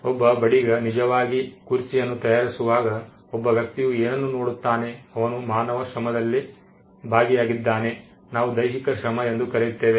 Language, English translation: Kannada, What a person gets to see when a carpenter is actually making a chair, is the fact that he is involved in human labor, what we call physical labor